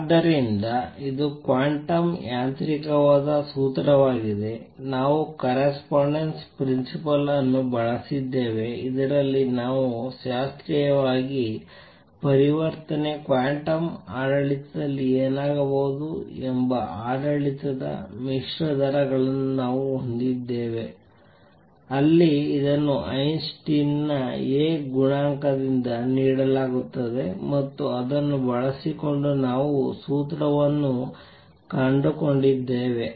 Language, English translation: Kannada, So, this is the formula which is quantum mechanical, we have used correspondence principle, in this we have mix rates of we know transition in classical, the regime to what would happen in the quantum regime, where it is given by the Einstein’s A coefficient and using that we have found the formula